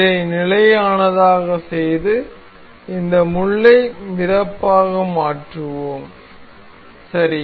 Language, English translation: Tamil, Let us fix this one and make this pin as floating, right